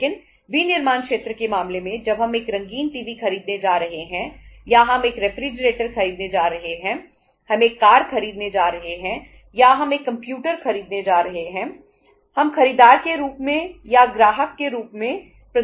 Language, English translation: Hindi, But in case of the manufacturing sector when we are going to buy a color TV or we are going to buy a refrigerator, we are going to buy a car or we are going to buy a computer, we are not going to provide as the buyer or as the customer